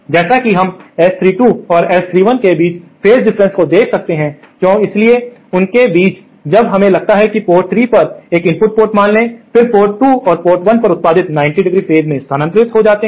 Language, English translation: Hindi, As we can see the phase shift between this S 32 and say S 31, so between these sports, when suppose we assume an input at port 3, then the outputs at port 2 and port 1 are 90¡ phase shifted